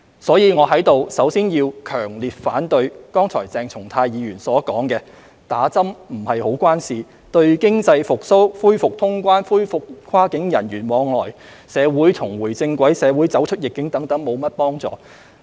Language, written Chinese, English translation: Cantonese, 因此，我在此首先要強烈反對剛才鄭松泰議員所說："打針不是太有關係，對經濟復蘇、恢復通關、恢復跨境人員往來、社會重回正軌、社會走出逆境等沒甚麼幫助。, Therefore first of all I strongly disagree with Dr CHENG Chung - tais remarks that taking a jab is not very relevant and is of no help to economic recovery resumption of cross - border travel resumption of cross - border flows of people getting society back on track and getting society out of adversity